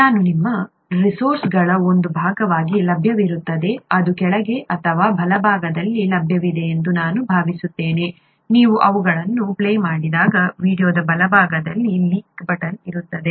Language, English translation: Kannada, I, this would be available as a part of your resources, I think it is available right below or right above I think there, there is a link, a button on the right hand side of the video, when you play them